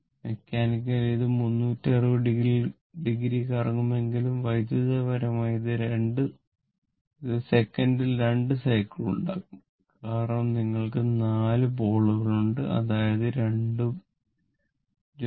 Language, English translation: Malayalam, Although mechanical, it will rotate 360 degree, but electrically it will make 2 cycles per second right because you have four pole that mean 2 pole pair